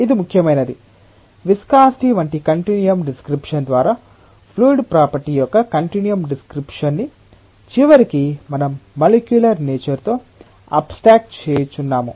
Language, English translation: Telugu, And it is important to appreciate that at the end because through a continuum description like viscosity is a continuum description of a fluid property, we are usually abstracted of the molecular nature